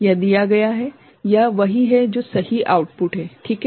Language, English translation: Hindi, This is given, this one is what is the correct output right